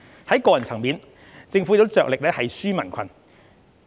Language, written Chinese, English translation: Cantonese, 在個人層面，政府亦着力"紓民困"。, At the individual level the Government has spared no efforts to relieve peoples hardship